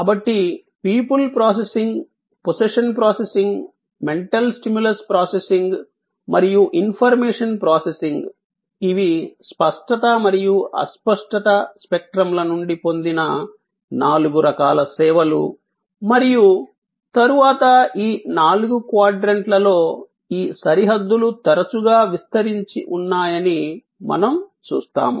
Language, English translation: Telugu, So, people processing, possession processing, mental stimulus processing and information processing are the four kinds of services derived from the spectrum of tangibility and intangibility and as later on we will see that these boundaries among these four quadrants are often diffused